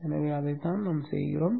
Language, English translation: Tamil, So that is what we do